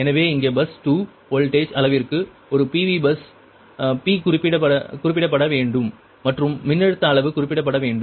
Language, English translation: Tamil, so here, for bus two, voltage magnitude is specified, a pv bus, p has to be specified and voltage magnitude has to be specified